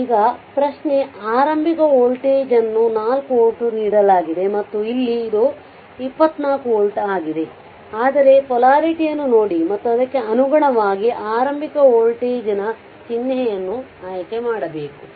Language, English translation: Kannada, So, now question is and initial voltage that is given 4 volt and here it is 24 volt right, but look at the polarity and accordingly we have to choose the sign of that what you call that initial voltage